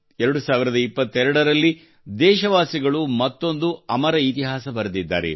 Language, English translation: Kannada, In 2022, the countrymen have scripted another chapter of immortal history